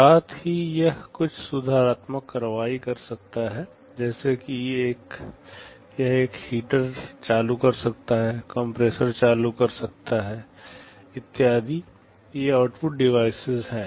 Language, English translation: Hindi, And similarly it can take some corrective action like it can turn on a heater, turn on the compressor, and so on; these are the output devices